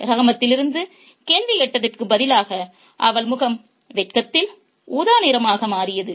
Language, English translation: Tamil, Rather, on hearing the question from Rahmat, her face became purple in shame